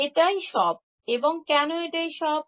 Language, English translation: Bengali, That is all, and why is it all